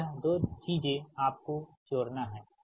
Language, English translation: Hindi, so this things, this, this two things you have to add